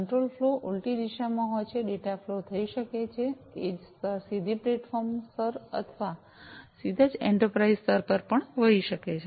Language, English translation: Gujarati, The control flow is in the reverse direction, data could flow from, the edge layer to the platform layer directly, or could directly also flow to the enterprise layer